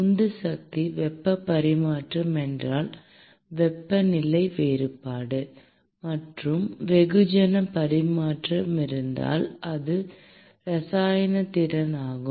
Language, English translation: Tamil, The driving force is temperature difference if it is heat transfer; and it is chemical potential if it is mass transfer